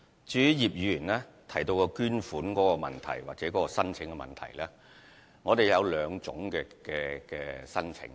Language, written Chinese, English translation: Cantonese, 至於葉議員提及的捐款申請問題，我們共有兩類捐款申請。, With regard to the donation application mentioned by Mr IP we have two types of donation application